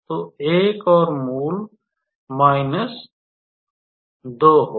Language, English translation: Hindi, So, another root will be minus 2 alright